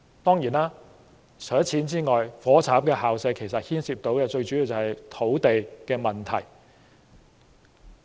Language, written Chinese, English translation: Cantonese, 當然，除了金錢之外，"火柴盒校舍"問題最主要牽涉的便是土地。, Certainly the crux of the problem with the matchbox school premises apart from money lies in land